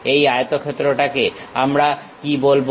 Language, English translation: Bengali, This rectangle what we call